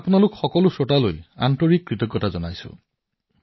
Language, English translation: Assamese, I appreciate these thoughts of all you listeners